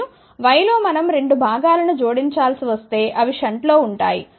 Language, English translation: Telugu, And, in y if we have to add the 2 components, there will be in shunt ok